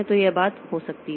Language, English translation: Hindi, So, this can be nothing